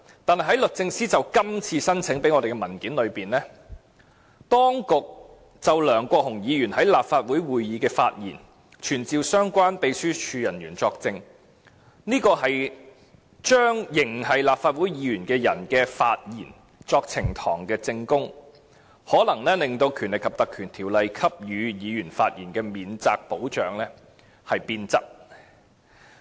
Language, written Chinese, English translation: Cantonese, 可是，在律政司就今次申請而向我們提供的文件中，當局就梁國雄議員在立法會會議的發言傳召相關秘書處人員作證的做法，便是把仍是立法會議員的人的發言用作呈堂證供，可能會令《立法會條例》給予議員的發言免責保障變質。, We learn from the papers provided to this Council by the Department of Justice in association with its current application for special leave that the latter wants to summon officers of the Legislative Council Secretariat concerned to give evidence in respect of the matters said by Mr LEUNG Kwok - hung at meetings of this Council or its panelscommittees